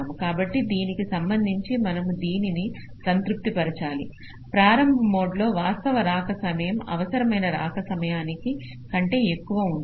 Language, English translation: Telugu, so with respect to this, we will have to satisfy that the actual arrival time in the early mode must be greater than equal to the required arrival time